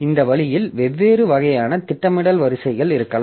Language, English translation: Tamil, So, this way there can be different types of scheduling queues